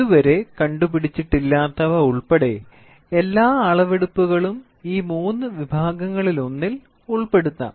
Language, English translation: Malayalam, Every application of the measurement including those not yet invented can be put in one of these three categories